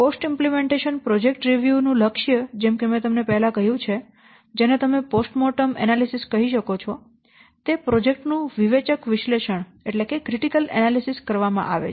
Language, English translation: Gujarati, The goal of post implementation project review, as I have a little sometimes you call as post mortem analysis it is carried out to perform a critical analysis of the project